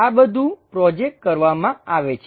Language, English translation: Gujarati, All these things projected